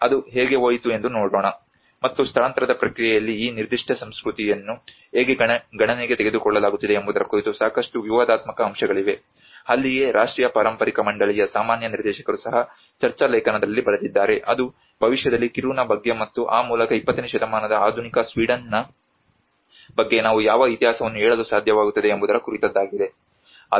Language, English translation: Kannada, Let us see how it went, and there have been a lot of the controversial aspects of how this particular culture has going to be taken into account in the move process so that is where even the general director of national heritage board also wrote in a debate article that you know the battle is about which history we will be able to tell about Kiruna in the future and thereby about the modern Sweden of 20th century right